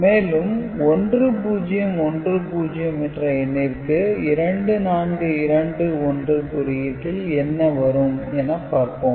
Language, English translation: Tamil, And 1010 if we are using 2421 code, what will be the value